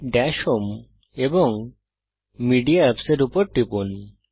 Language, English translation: Bengali, Click on Dash home and Media Apps